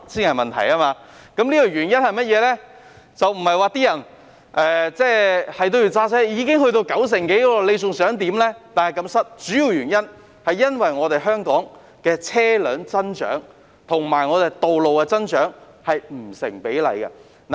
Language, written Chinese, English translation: Cantonese, 原因不是市民堅持要開車，現已有九成多人使用公共交通工具，比例難以再提高，主要原因是香港車輛的增長與道路的增長不成比例。, The reason is not that people insist on driving as some 90 % of people take public transport and the ratio can hardly be further raised . The major reason is that the growth of vehicles in Hong Kong is disproportionate to the growth of roads